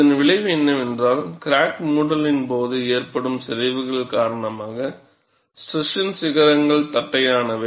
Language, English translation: Tamil, And the effect is, the striation peaks are flattened due to deformations during crack closure